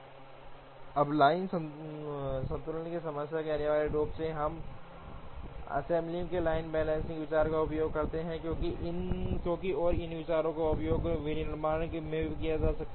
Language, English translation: Hindi, Now in the line balancing problem, essentially we use the line balancing idea in assembly, as and also these ideas can be used in manufacturing